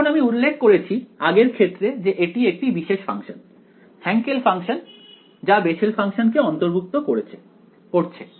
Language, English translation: Bengali, Now I have mentioned this previously this is a special function, Hankel function consisting of Bessel functions right